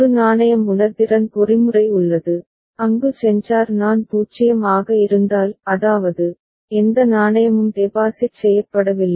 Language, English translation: Tamil, There is a coin sensing mechanism, where if the sensor I is 0; that means, no coin is deposited